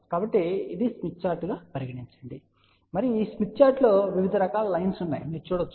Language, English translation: Telugu, So, let us say this is the smith chart and on this smith chart, you can see various these lines are there